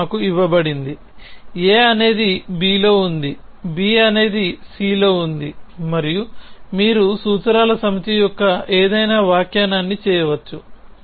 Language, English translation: Telugu, So, this is given to us, a is on b, b is on c and you can off course do any interpretation of the set of formulas